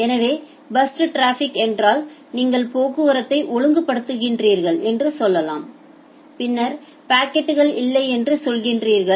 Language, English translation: Tamil, So, burst traffic means say you are making a say regulation of traffic then say, the packets are not there